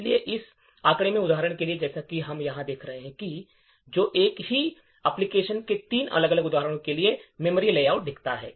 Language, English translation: Hindi, So, for example in this figure as we see over here which shows the memory layout for three different instances of the same application